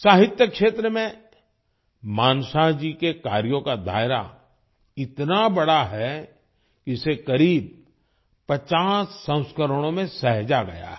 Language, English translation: Hindi, The scope of Manshah ji's work in the field of literature is so extensive that it has been conserved in about 50 volumes